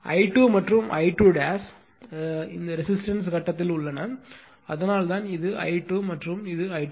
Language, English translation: Tamil, And I 2 and I 2 dash are in anti phase I told you that is why this is I 2 and this is your I 2 dash